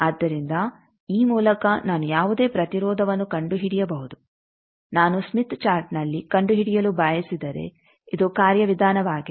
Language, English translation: Kannada, So, by this I can locate any impedance if I want to locate on the smith chart this is procedure